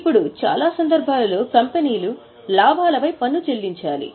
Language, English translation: Telugu, Now, most of the cases, companies have to pay tax on profits